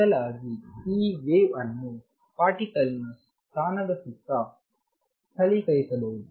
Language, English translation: Kannada, Rather, this wave could be localized around the particle position